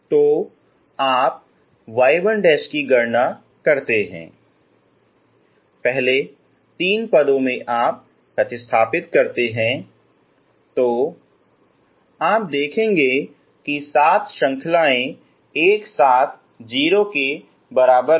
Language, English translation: Hindi, So you calculate y 1 dash, substitute in the first three terms you will see that seven series together equal to 0